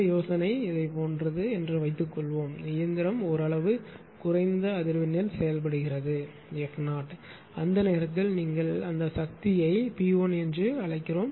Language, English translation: Tamil, Suppose the idea idea is something like this suppose machine you are operating at a at a nominal frequency f 0 right, at that time, at that time your what you call that power was say it was P 1 and when that further load is increased